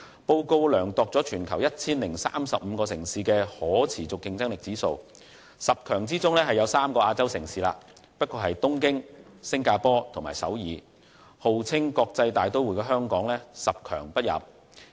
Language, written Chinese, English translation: Cantonese, 報告量度了全球 1,035 個城市的可持續競爭力指數，在十強中有3個是亞洲城市，但只不過是東京、新加坡和首爾，號稱國際大都會的香港卻十強不入。, The report measured the sustainable competitiveness index of 1 035 cities in the world and of the top 10 cities only three are Asian cities Tokyo Singapore and Seoul . Hong Kong the so - called an international metropolis has failed to reach the top 10